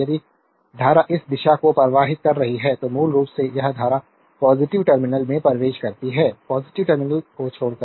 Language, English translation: Hindi, If current is flowing this direction, so basically this current entering to the minus terminal leaving the plus terminal